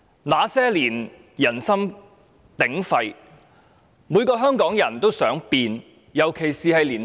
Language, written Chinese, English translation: Cantonese, 那些年，人心鼎沸，每個香港人——特別是青年人——都想改變。, Back in those years there was a public uproar when everyone particularly young people was eager for a change